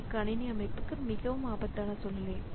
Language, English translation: Tamil, So, that is a very dangerous situation for the system